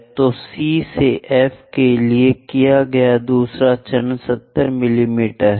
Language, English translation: Hindi, So, 2nd step done so C to F is 70 mm